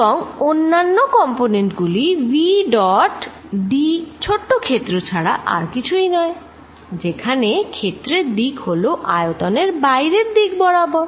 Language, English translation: Bengali, And other components is actually nothing but v dot d small area where the direction of area is equal to pointing out of the volume